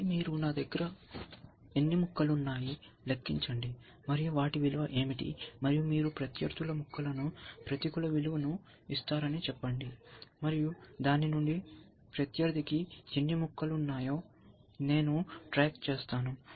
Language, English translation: Telugu, And then you count, how many pieces, do I have, what is there values, and let say you give negative value to opponents pieces, and from that I sub track how many pieces opponent has